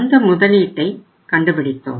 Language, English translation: Tamil, So this investment we worked out